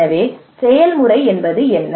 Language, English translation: Tamil, So what is the process